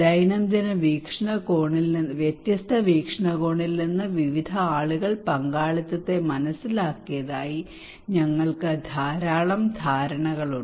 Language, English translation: Malayalam, We have a lot of understanding of that various people understood participations from daily various perspective